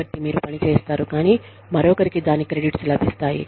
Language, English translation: Telugu, So, you do the work, but somebody else, gets the credits for it